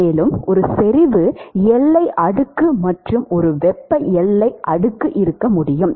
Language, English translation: Tamil, And, one could have a concentration boundary layer and one could have a thermal boundary layer